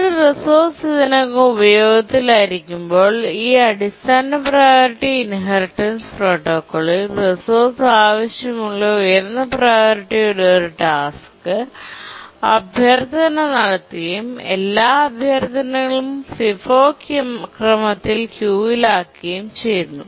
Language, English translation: Malayalam, And therefore intermediate priority task cannot preempt this low priority task anymore in this basic priority inheritance protocol when a resource is already under use a high priority task that needs the resource, makes the request and all the resources are keyed in the FIFO order